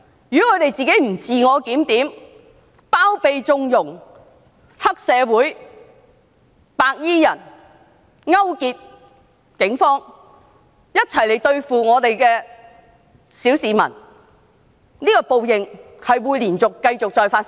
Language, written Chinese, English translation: Cantonese, 如果保皇黨不自我檢討，繼續包庇、縱容黑社會和白衣人，勾結警方一起對付小市民，報應將會繼續再發生。, If the pro - Government camp does not review themselves; if it continues to harbour and condone triads and white - clad people and colludes with the Police to act against the ordinary citizens retribution will continue to come